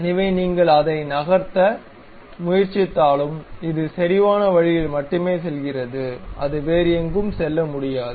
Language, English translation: Tamil, So, even if you are trying to move that one, this one goes only in the concentric way, it cannot go anywhere